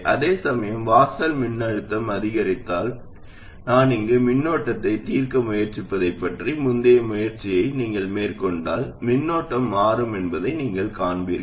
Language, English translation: Tamil, Whereas in this case, if the threshold voltage increases and if you carried out that earlier exercise I mentioned of trying to solve for the current here, you will see that the current will change